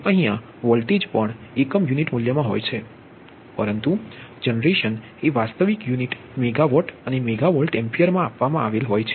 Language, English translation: Gujarati, this voltage is also in per unit values, but these are given in real unit: megawatt and megahertz